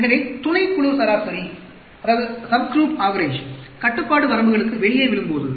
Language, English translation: Tamil, So, when a subgroup average falls outside of the control limits